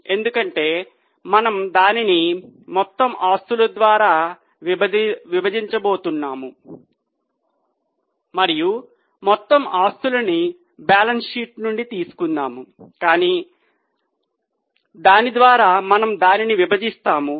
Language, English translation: Telugu, So we will take the total revenue here because we are going to divide it by total assets and we will divide it from the balance sheet we get total assets